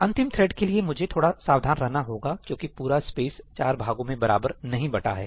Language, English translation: Hindi, For the last thread, I have to be a little careful because the total space may not be equally divisible into four parts